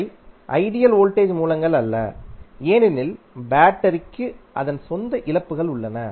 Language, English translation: Tamil, Although, those are not ideal voltage sources because battery has its own losses